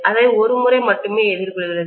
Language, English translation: Tamil, It is encountering it only once